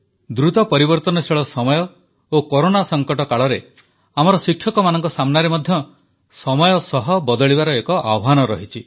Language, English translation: Odia, The fast changing times coupled with the Corona crisis are posing new challenges for our teachers